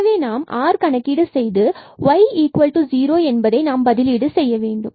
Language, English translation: Tamil, So, when we compute r, so we need to substitute y to 0 here